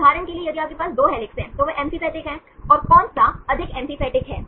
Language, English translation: Hindi, For example if you have 2 helices, they are amphipathic and which one is more amphipathic